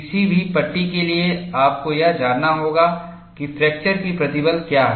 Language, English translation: Hindi, For each category of material, you have to find out the fracture toughness